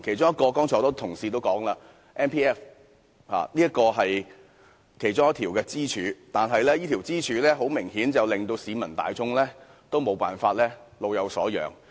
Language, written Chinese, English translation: Cantonese, 多位同事也有提到其中一根支柱強積金，但這根支柱顯然令市民大眾沒法老有所養。, Many colleagues have mentioned one of those pillars that is the Mandatory Provident Fund MPF System . This pillar has obviously prevented the public from enjoying a sense of security in their old age